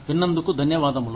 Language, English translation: Telugu, Thank you for listening